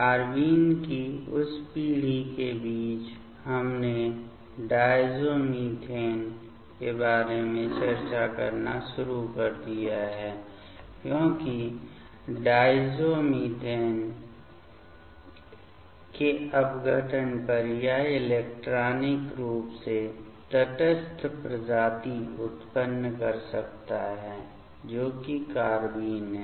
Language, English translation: Hindi, Among that generation of carbene, we have started to discuss about the diazomethane because on decomposition of diazomethane; it can generate the electronically neutral species that is the carbene